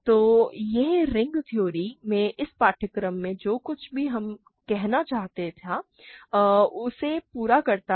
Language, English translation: Hindi, So, this completes whatever I wanted to say in this course in ring theory